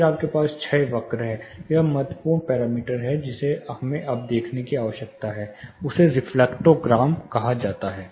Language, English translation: Hindi, Then you have the decay curve, important parameter which we need to look at now, something called reflectogram